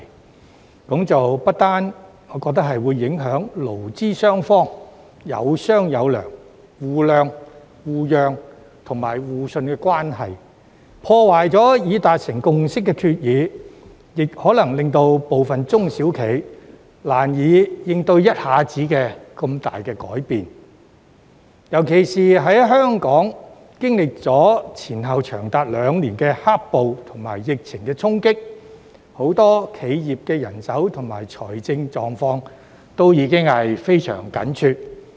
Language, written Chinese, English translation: Cantonese, 我認為這不但會影響勞資雙方有商有量、互諒、互讓和互信的關係，破壞已達成的共識，還可能令部分中小企難以適應突如其來的重大改變，尤其是在香港經歷前後長達兩年的"黑暴"和疫情的衝擊後，很多企業的人手和財政狀況已經變得非常緊絀。, I think this will not only affect the labour - management relations which are founded on cordial negotiations mutual understanding mutual concessions and mutual trust breaking the consensus reached but will also render it difficult for some SMEs to adapt to the sudden drastic changes especially when many enterprises are facing the problem of tight manpower and financial predicament after Hong Kong has experienced the black - clad violence and the impact of the epidemic over the past two years